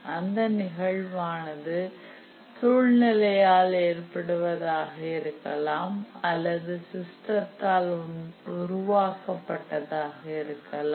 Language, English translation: Tamil, And the event may be either produced by the system or the environment